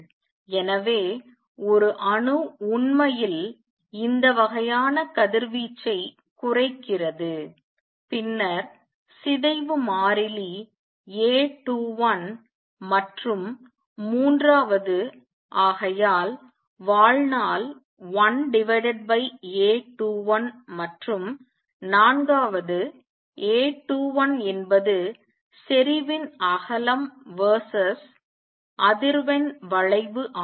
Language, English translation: Tamil, So, an atom actually give out this kind of radiation is goes down then the decay constant is A 21 and third therefore, lifetime is 1 over A 21 and fourth A 21 is also the width of the intensity versus frequency curve